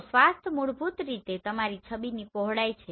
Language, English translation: Gujarati, So swath is your width of your image